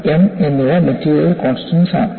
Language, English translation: Malayalam, And what you have as c and m are material constants